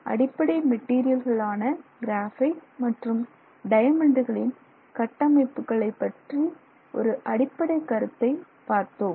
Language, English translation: Tamil, So, this is the basic idea with respect to the structures of the common materials graphite and diamond